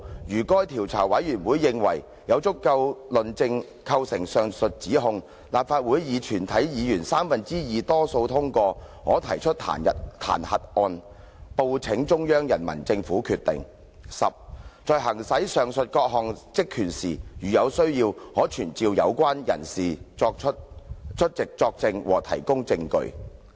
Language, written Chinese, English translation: Cantonese, 如該調查委員會認為有足夠證據構成上述指控，立法會以全體議員三分之二多數通過，可提出彈劾案，報請中央人民政府決定；十在行使上述各項職權時，如有需要，可傳召有關人士出席作證和提供證據。, If the committee considers the evidence sufficient to substantiate such charges the Council may pass a motion of impeachment by a two - thirds majority of all its members and report it to the Central Peoples Government for decision; and 10 To summon as required when exercising the above - mentioned powers and functions persons concerned to testify or give evidence